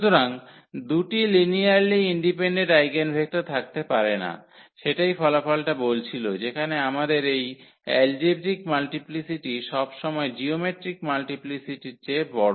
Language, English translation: Bengali, So, there cannot be two linearly independent eigenvectors, that was that result says where we have that these algebraic multiplicity is always bigger than the geometric multiplicity